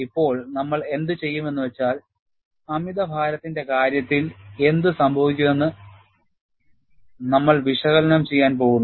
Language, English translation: Malayalam, Now, what we will do is, we will move on to analyze, what happens in the case of a overload